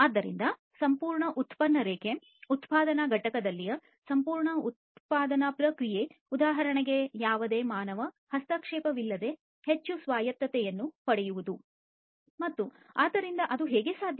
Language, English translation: Kannada, So, the entire product line, the entire production process in a manufacturing plant, for example, would be made highly autonomous without any human intervention, ok